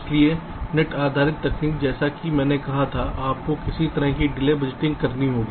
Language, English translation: Hindi, so, net based technique, as i had said, you have to do some kind of delay budgeting